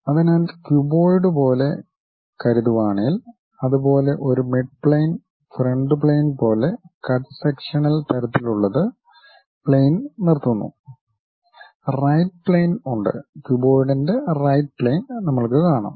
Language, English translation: Malayalam, So, if you are assuming something like a cuboid one of the mid plane is front plane, the cut sectional kind of thing is stop plane and there is a right plane also we can see right plane of that cuboid